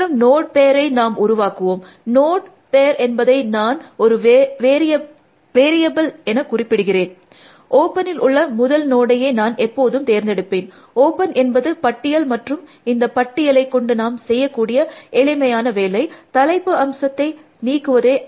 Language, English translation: Tamil, And we will do the following node pair, I call it node pair as a variable name, I will always pick the first node from open, open is the lists now, and the simplest thing to do with the list is to remove the head element